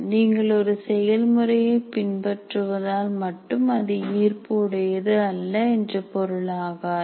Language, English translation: Tamil, It does not, just because you are following a process, it doesn't mean that it is not inspirational